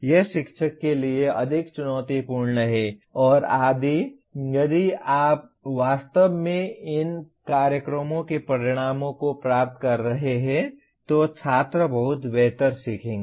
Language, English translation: Hindi, It is more challenging to the teacher and if you are really attaining these program outcomes the students will learn lot better